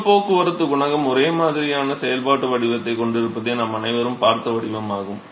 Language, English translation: Tamil, It is the form that we have all seen a heat transport coefficient has a similar functional form right